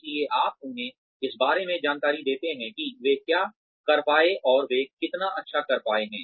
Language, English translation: Hindi, So, you give them information about, what they have been able to do, and how well they have been able to do it